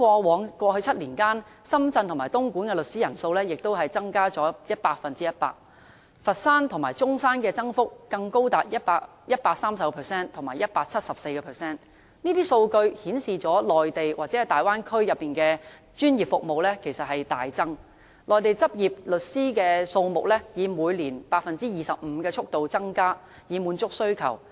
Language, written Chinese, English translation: Cantonese, 在過去7年間，深圳和東莞的律師人數也增加了 100%， 佛山和中山的增幅更高達 130% 和 174%， 這些數據顯示內地或大灣區的專業服務需求大增，內地執業律師的數目以每年 25% 的速度增加，以滿足需求。, Over the past seven years the number of legal practitioners in Shenzhen and Dongguan has increased by 100 % and those in Foshan and Zhongshan have respectively increased by 130 % and 174 % . The data show that there is an acute demand for professional services in the Mainland or the Bay Area . To meet the demand legal practitioners in the Mainland have been increasing by 25 % every year